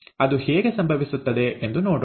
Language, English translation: Kannada, So let us see how it happens